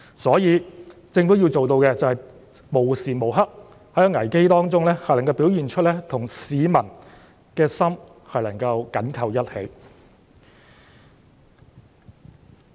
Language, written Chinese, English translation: Cantonese, 所以，政府要做到的便是在危機中，能夠無時無刻表現出與市民的心緊扣在一起。, Therefore what the Government must do is to demonstrate at any moment during a crisis that it is closely connected with the people